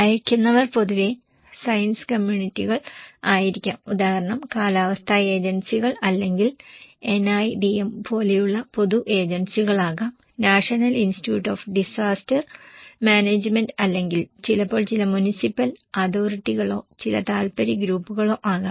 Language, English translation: Malayalam, Okay, senders are generally science communities example meteorological agencies or it could be public agencies like NIDM; National Institute of disaster management or sometimes could be some municipal authorities or some interest groups